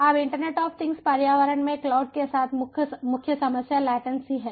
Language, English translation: Hindi, now the main problem with ah cloud in internet of things environment is that latency